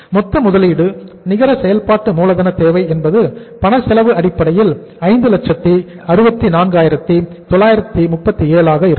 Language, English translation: Tamil, Total net working capital requirement on cash cost basis, cash cost basis we have worked out is that is 564,937